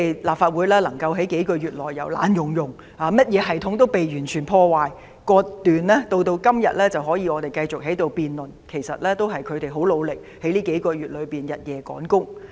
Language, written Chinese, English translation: Cantonese, 立法會能夠在數個月內，由破爛不堪及甚麼系統也被完全破壞和割斷，到今天能夠讓我們繼續在此辯論，其實也是因為他們很努力在近數月內日夜趕工。, From being badly damaged with all the systems completely wrecked and cut off the Legislative Council can in a few months time allow us to hold a debate today . This is actually attributable to their efforts in working against the clock day and night in the last several months